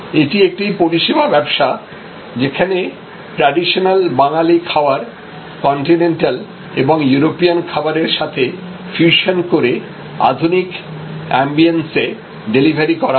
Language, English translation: Bengali, It is a service business for delivering traditional Bengali cuisine in different fusion mode, in a fusion with certain continental and European dishes and in very modern ambiance